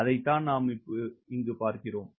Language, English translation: Tamil, that is what we are looking for, right with